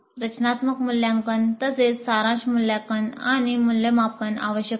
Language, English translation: Marathi, Formative assessment as well as summative assessment and evaluations are essential